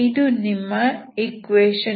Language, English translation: Kannada, This is your U